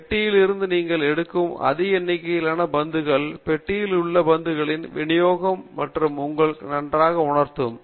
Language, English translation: Tamil, The more number of balls you pick from the box, better idea you will have about the distribution of the balls in the box